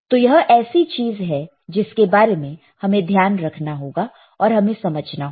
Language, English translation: Hindi, So, there is a something that we need to take care we need to understand